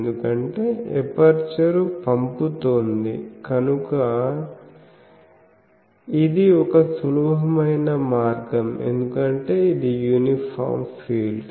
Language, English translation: Telugu, Because whatever aperture is sending; so that is an easier way because it is an uniform field